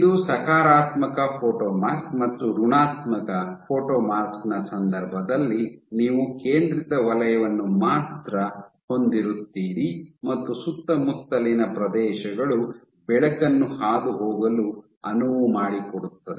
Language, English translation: Kannada, So, this is your positive photomask and in case of your negative photomask you only have the centered zone and the surroundings will allow light to pass